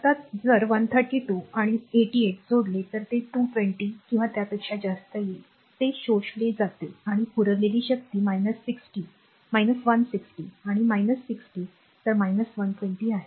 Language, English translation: Marathi, Now, if you add 132 and your 88 this is power absorbed whatever it will come 220 or so, right and if you see the power supplied it is 160 minus and minus 60 so, minus 220